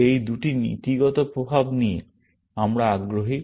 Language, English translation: Bengali, These are the two principle effects we are interested in